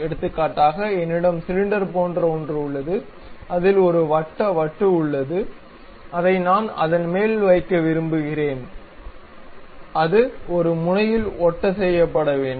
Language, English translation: Tamil, For example, I have something like a cylinder on which there is a circular disc I would like to really mount it and it is supposed to be fixed at one end